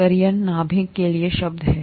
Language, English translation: Hindi, Karyon is the word for nucleus